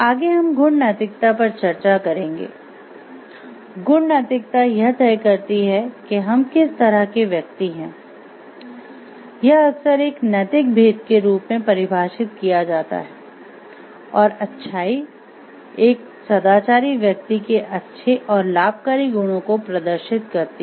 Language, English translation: Hindi, Next we will discuss virtue ethics, virtue ethics decides what kind of person we are; it is often defined as a moral distinction and goodness a virtuous person exhibits good and beneficent qualities